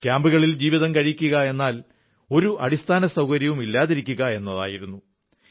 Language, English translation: Malayalam, Life in camps meant that they were deprived of all basic amenities